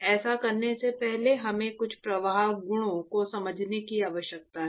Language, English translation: Hindi, Before we do that, we need to understand some of the flow properties right